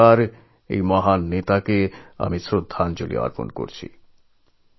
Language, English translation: Bengali, Once again I pay my homage to a great leader like him